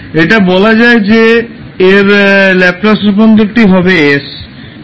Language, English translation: Bengali, So you will simply say that the Laplace transform of this is s